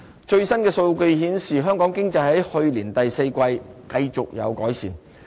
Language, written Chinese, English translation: Cantonese, 最新的數據顯示，香港經濟在去年第四季繼續有改善。, Latest statistics indicated a continuous improvement in Hong Kongs economy in the fourth quarter last year